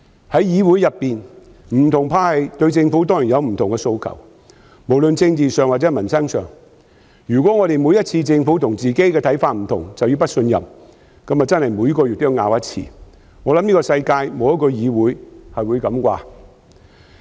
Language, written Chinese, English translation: Cantonese, 在議會中，不同派系當然會對政府有不同的訴求，無論在政治或民生議題上，如果每次政府和自己的想法不同便要提出不信任議案，那麼我們每月都要爭辯一次，我想世界上沒有一個議會是這樣做。, Different camps in the legislature would certainly have different demands on the Government be they issues relating to politics or peoples livelihood and if we have to propose a motion of vote of no confidence on each and every occasion when our views differ from those of the Government we will then have to debate once every month . I reckon no legislature all over the world would do so